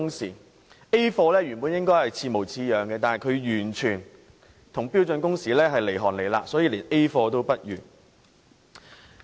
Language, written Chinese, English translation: Cantonese, 所謂 "A 貨"，本應與正貨似模似樣的，但它卻與標準工時相差甚遠，所以是連 "A 貨"也不如。, A grade A replica should bear a close resemblance to the authentic but contractual working hours is such a far cry from standard working hours that it is not even up to the standard of a grade A replica